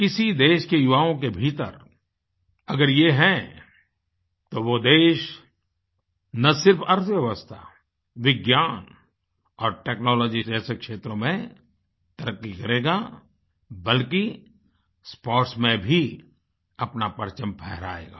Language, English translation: Hindi, If the youth of a country possess these qualities, that country will progress not only in areas such as Economy and Science & Technology but also bring laurels home in the field of sports